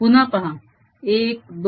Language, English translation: Marathi, see it again: one, two